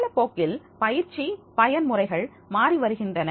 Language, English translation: Tamil, With the period of time the mode of training is also has changed